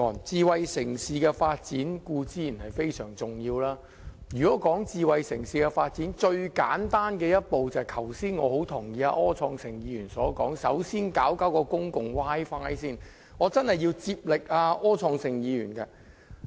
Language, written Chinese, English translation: Cantonese, 智慧城市的發展固然非常重要，而要發展智慧城市，最簡單的一步，正如我很認同剛才柯創盛議員的說法，也就是首先要做好公共 Wi-Fi。, Smart city development is certainly very important and to develop a smart city the simplest step as suggested earlier by Mr Wilson OR whose views I very much support is to provide effective public Wi - Fi service in the first place